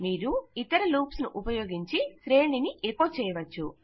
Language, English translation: Telugu, You can use other loops to echo through an array